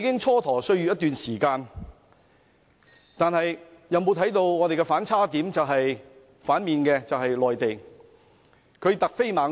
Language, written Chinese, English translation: Cantonese, 在過去一段時間，我們蹉跎歲月，但內地卻突飛猛進。, While we have wasted time previously the Mainland has been advancing rapidly